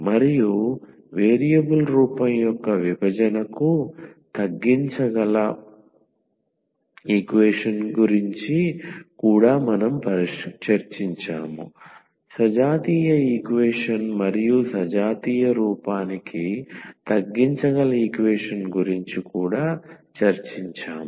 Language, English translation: Telugu, And we have also discussed about the equation reducible to the separable of variable form again, we have also discussed the homogeneous equation and the equation reducible to the homogeneous form